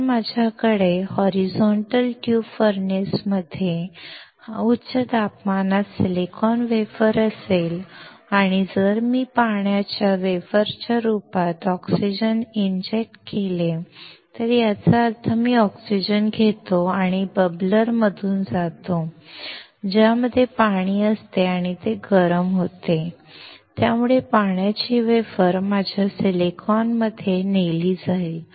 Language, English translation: Marathi, If I have the silicon wafer at high temperature in the horizontal tube furnace and if I inject oxygen in form of water vapor; that means, I take oxygen and pass it through the bubbler in which water is there and it is heated, so the water vapor will be carried to my silicon